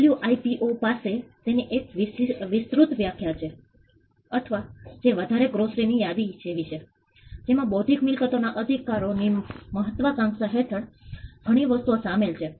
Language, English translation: Gujarati, The WIPO has a definition on it is an expansive definition or which is more like a grocery list, it includes many things under the ambit of intellectual property rights